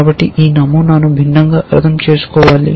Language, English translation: Telugu, So, this pattern should be interpreted differently